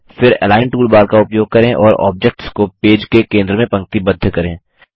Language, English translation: Hindi, Then use the Align toolbar and align the objects to the centre of the page